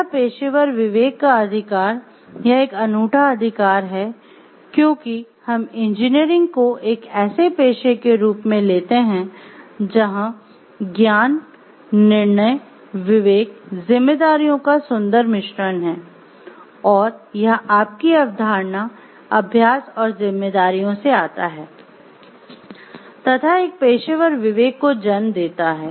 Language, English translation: Hindi, This is an unique right and the conscious right of professional conscience because the way we take engineering as a profession, it is a beautiful blend of knowledge, judgment, discretion, responsibilities, which come up from the knowledge your concept the practice and responsibilities and this gives rise to a professional conscience